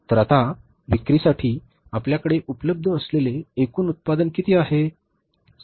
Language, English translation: Marathi, So, what is the total production available with us now for sales